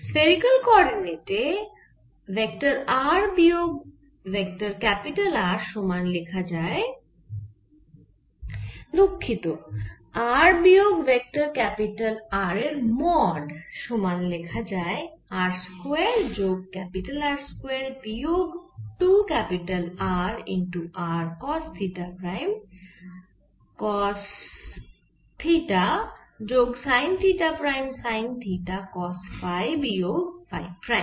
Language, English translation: Bengali, mode of vector r minus vector capital r can be written equal to r square plus capital r square minus two capital r small r cos theta prime, cos theta plus sin theta prim sin theta cos pi minis phi